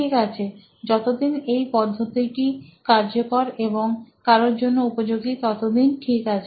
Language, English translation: Bengali, So, as long as the method works and it is of use to somebody it works